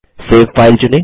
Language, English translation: Hindi, Select Save File